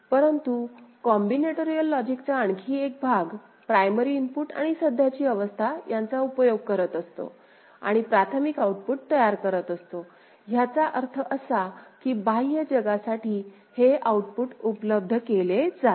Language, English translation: Marathi, But another part of the combinatorial logic is also taking primary input and the current state and generating the primary output; the primary output again what I mean by this is the output that is made available to the external world ok